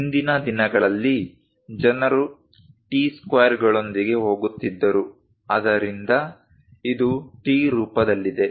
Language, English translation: Kannada, Earlier days, people used to go with T squares, so it is in the form of T